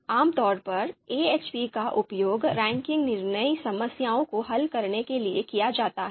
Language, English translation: Hindi, Typically it is used, AHP is used to solve ranking decision problems